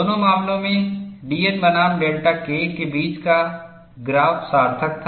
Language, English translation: Hindi, In both the cases, the graph between d a by d N versus delta K was meaningful